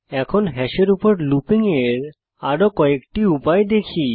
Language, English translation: Bengali, Now let us see few other ways of looping over hash